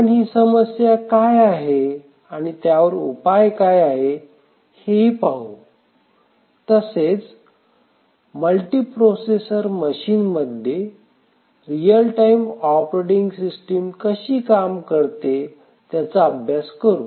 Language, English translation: Marathi, We will analyse the problem and see what the solutions are and then we will look at how do we use a real time operating system in a multiprocessor